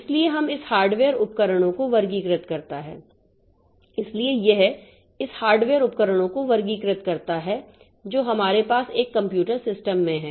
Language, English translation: Hindi, So, that classifies these hardware devices that we have in a computer system